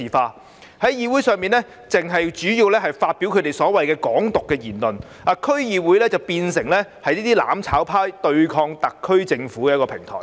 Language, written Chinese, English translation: Cantonese, 他們在區議會會議上主要是發表所謂的"港獨"言論，把區議會變成"攬炒派"對抗特區政府的平台。, At the DC meetings they mainly made speeches concerning Hong Kong independence and turned DCs into a platform for the mutual destruction camp to oppose against the SAR Government